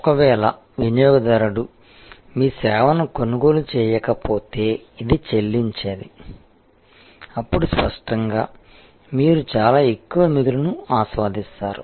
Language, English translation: Telugu, If the customer didnít buy your service would have paid this, then obviously, you enjoy a very huge surplus